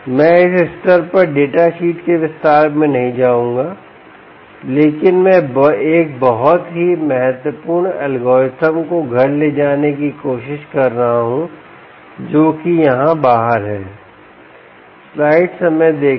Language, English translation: Hindi, i will not get into the detail of the data sheet at this stage, but i am trying to drive home a very important algorithm that is out here: ah um